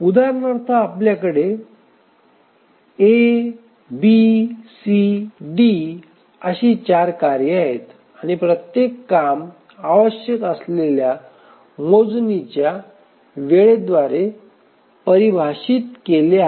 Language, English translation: Marathi, So, we have four tasks A, B, C, D and each task, sorry, each job the task instance is defined by the computation time required